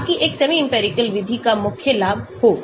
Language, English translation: Hindi, so that is the main advantage of a semi empirical method